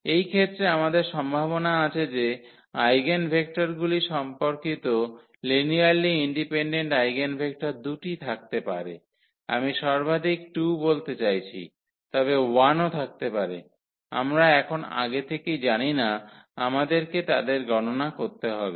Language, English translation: Bengali, So, in this case we have the possibility that the corresponding eigenvectors the corresponding linearly independent eigenvectors there may be 2, I mean at most 2, but there may be 1 as well, we do not know now in advance we have to compute them